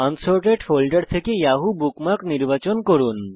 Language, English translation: Bengali, From the Unsorted Bookmarks folder select the Yahoo bookmark